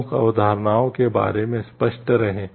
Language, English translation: Hindi, Be clear about the key concepts